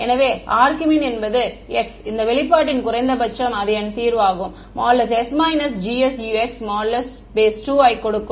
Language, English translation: Tamil, So, argmin means that x which gives the minimum of this expression s minus G S Ux and that is my solution